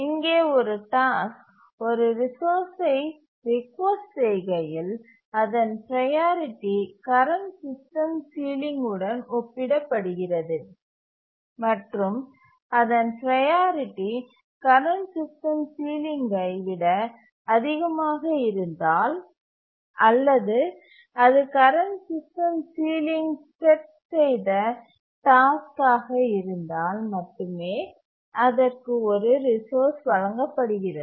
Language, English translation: Tamil, Here when a task requests a resource, its priority is compared to the current system ceiling and only if its priority is more than the current system ceiling or it is the task that has set the current system ceiling it is granted a resource